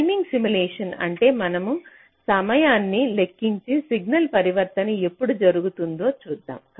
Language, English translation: Telugu, timing simulation means we simply calculate the times and see when signal transitions are talking place